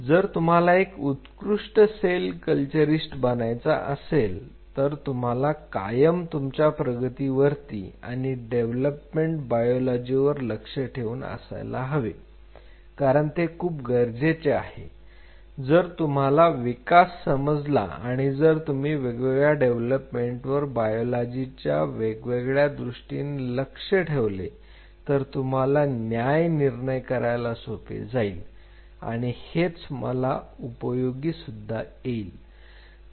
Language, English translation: Marathi, If you want to become a good cell culturist you should always keep a tab on the progress and development biology this will be always helpful if you understand development or if you can keep a tab on the different development taking place in different biology it will be very helpful to make very judicious judgment